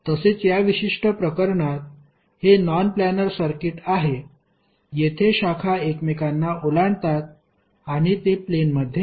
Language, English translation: Marathi, While in this particular case if you see this is non planar circuit because the branches are cutting across and it is not in a plane